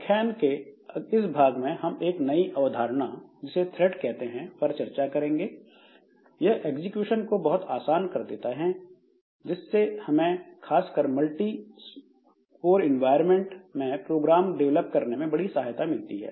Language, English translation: Hindi, So, in this part of the lecture, so we'll be looking into a new concept called threads which will make this execution much more simple and that will help us in developing programs particularly for multi code environments where there several codes are there and they can take up the different jobs